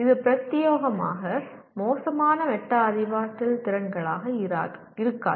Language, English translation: Tamil, It would not be exclusively poor metacognition skills